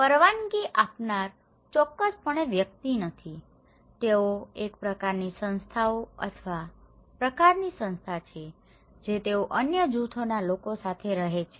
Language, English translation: Gujarati, The perceiver is not an individual of course, they are a kind of institutions or kind of organizations they are living with other group of people